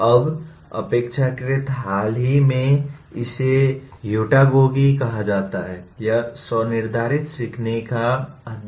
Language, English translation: Hindi, Now, relatively recent one it is called “Heutagogy”, is the study of self determined learning